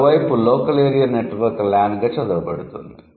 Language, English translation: Telugu, On the other hand, local area network read as LAN would be an acronym